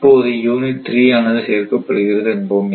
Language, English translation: Tamil, Now suppose unit 3 is added